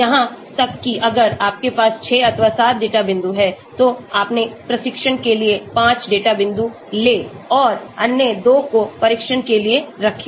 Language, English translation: Hindi, Even if you have 6 or 7 data points, take 5 data points for your training and keep the other two for test